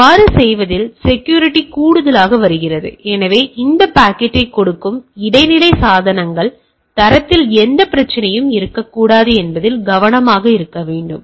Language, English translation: Tamil, And security comes additionally in doing so we should be careful that intermediate devices which gives this packet with there should not be any problem with the standard right